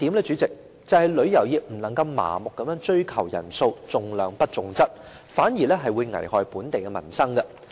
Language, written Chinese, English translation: Cantonese, 主席，第二是旅遊業不能夠麻木地追求人數，重量不重質，這反而會危害本地民生。, The situation seems worrying . President secondly blindly going after the number of visitors sacrificing quality for quantity will hurt local peoples livelihood